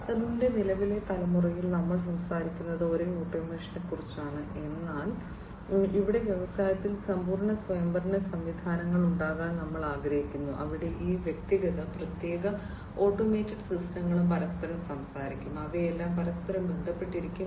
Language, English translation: Malayalam, 0, we are talking about the same automation, but here we want to have complete autonomous systems in the industry, where this individual, separate, automated systems will also be talking to each other, they will be all interconnected